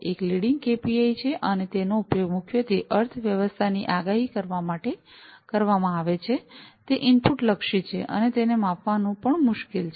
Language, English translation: Gujarati, One is the leading KPI, and it is mainly used to predict the economy, it is input oriented, and is hard to measure